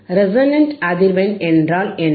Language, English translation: Tamil, What is the resonant frequency